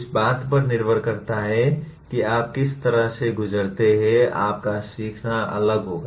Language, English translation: Hindi, Depending on how you keep traversing that, your learning will differ